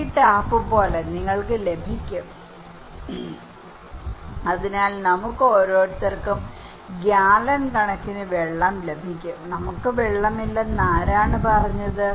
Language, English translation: Malayalam, Like this tap, you get, so each one we can get gallons and gallons of water okay, who said we do not have water